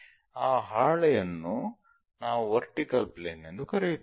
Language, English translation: Kannada, So, this is what we call vertical plane